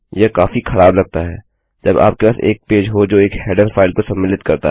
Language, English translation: Hindi, This is quite messy when you have a page that has include a header file